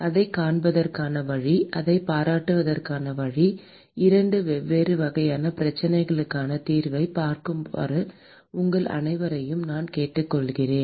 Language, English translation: Tamil, And the way to see that way to appreciate that is : I would probably urge you all to take a look at the solution of 2 different types of problems